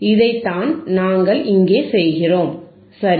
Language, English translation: Tamil, This is what we are doing here, right